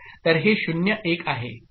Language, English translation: Marathi, So this is 0 1